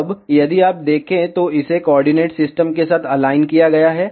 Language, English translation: Hindi, Now, if you see, it is aligned with the coordinate system